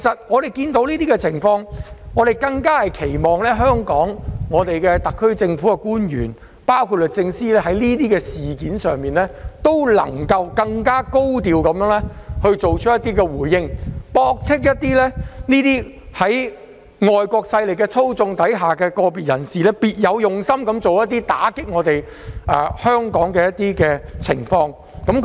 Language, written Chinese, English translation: Cantonese, 眼見這種情況，我們更期望香港特區政府的官員包括律政司司長，能就這些事件作出更高調的回應，駁斥個別在外國勢力操縱下別有用心的人士種種打擊香港的言論和行為。, In view of this situation we have a higher expectation that officials of the HKSAR Government including the Secretary for Justice give higher - profile responses to these incidents refuting all sorts of remarks and actions made against Hong Kong by individuals with ulterior motives under the control of foreign powers